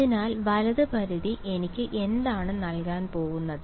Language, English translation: Malayalam, So, right limit is going to give me what